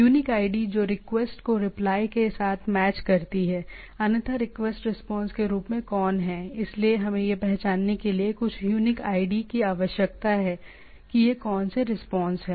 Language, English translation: Hindi, Unique ID that matches the request with the replies right, otherwise who as is the request response, so we need to have some unique id to identify that which with whose response it is